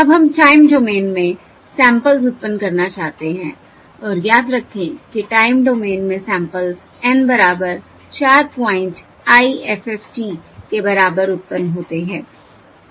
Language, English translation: Hindi, Now we want to generate the samples in the time domain, and remember that the samples in the time domain are are generated by the N equal to 4 point IFFT